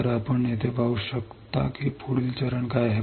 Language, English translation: Marathi, So, you can see here right what is the next step